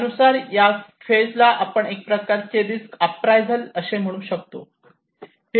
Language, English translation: Marathi, This phase, according to that, we can call a kind of risk appraisal